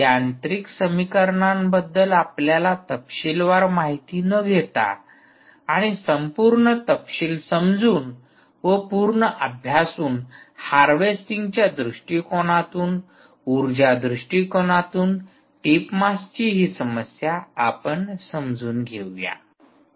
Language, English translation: Marathi, without getting into great detail of you know the mechanical equations and understanding the it complete detail, because of full study by itself from a harvesting perspective, from ah, from extracting energy perspective, let us understand this problem of tip mass